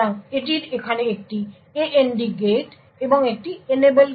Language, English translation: Bengali, So, it has an AND gate over here and an Enable